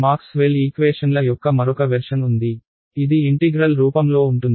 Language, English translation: Telugu, There is another version of Maxwell’s equations which is in integral form right